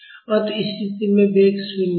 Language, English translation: Hindi, So, at this position the velocity is 0